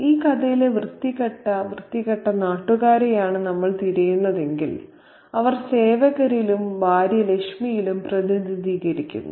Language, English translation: Malayalam, And if we look for the dirty vulgar countrymen in this story, they are represented in the servants and in his wife Lachmi